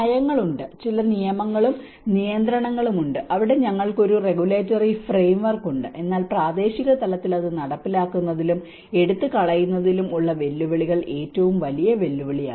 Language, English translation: Malayalam, There are policy, there are certain rules and regulations where we have a regulatory framework, but challenges in implementing and take it down at a local level is one of the biggest challenge